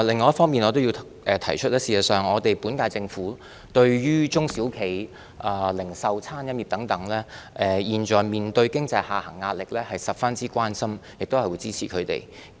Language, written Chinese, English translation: Cantonese, 我要指出的另一方面是，事實上，對於中小企、零售業及餐飲業等現時面對經濟下行壓力，政府對此十分關心並會支持它們。, Another point that I have to highlight is that the Government is in fact deeply concerned about and will support the small and medium enterprises SMEs as well as the retail and catering industries which are facing the pressure of an economic downturn